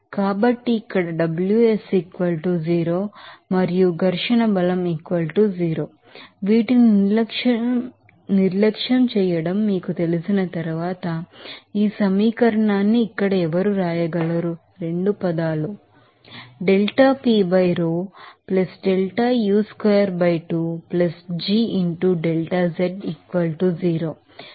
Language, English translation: Telugu, So, after you know neglecting these, 2 terms who can then write this equation here